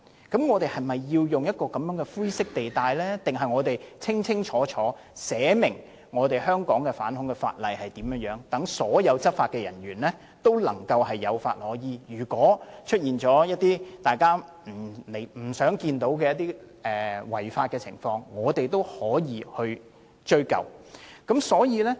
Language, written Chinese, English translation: Cantonese, 那麼，我們是否要在這種灰色地帶中運作，還是制定一項屬於香港的反恐法例，讓所有執法人員有法可依，即使出現一些大家不想看到的違法情況，我們也可以追究。, Shall we operate in this kind of grey area or shall we enact an anti - terrorist legislation of Hong Kong so that all law enforcement officers can have a legal basis for enforcing the laws? . Even if there are offences which we do not wish to see the offenders can be prosecuted